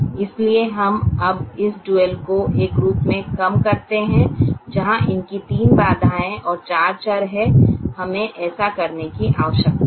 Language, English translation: Hindi, so we now reduce this dual into a form where it has three constraints and four variables